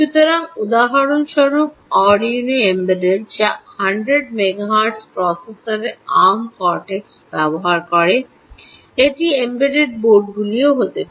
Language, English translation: Bengali, so arduino embed, for instance, which uses arm cortex at hundred megahertz processors, ah, ah, this also called the embed boards ah, which are there